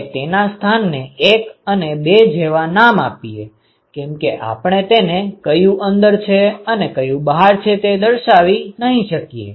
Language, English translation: Gujarati, So, if I call this location as let us say 1 and this location is 2 because, now you cannot say which is in and which is out ok